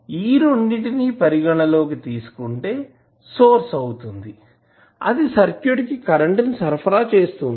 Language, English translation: Telugu, So, these 2 would be considered as a source which provide current to the circuit